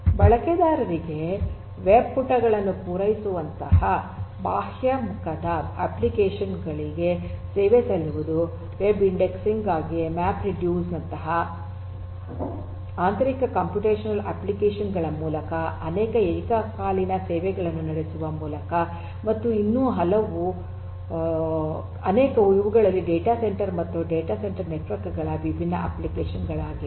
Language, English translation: Kannada, There are different applications of data centres, sub serving outward facing applications such as serving web pages to users, through internal computational applications such as use of MapReduce for web indexing, through running multiple current concurrent services and many many more these are some of these different applications of data centre and data centre networks